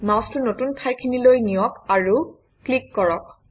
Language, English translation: Assamese, Move the mouse to the new location and click